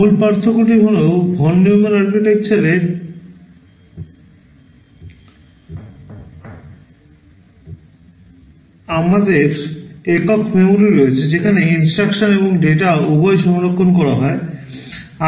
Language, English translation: Bengali, The basic difference is that in the Von Neumann Architecture we have a single memory where both instructions and data are stored